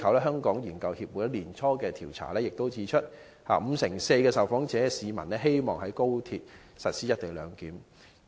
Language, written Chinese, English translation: Cantonese, 香港研究協會本年年初的調查亦指出，五成四受訪市民希望在高鐵實施"一地兩檢"。, A survey conducted by the Hong Kong Research Association at the beginning of this year also indicated that 54 % of the people interviewed wished to have the co - location arrangement implemented for XRL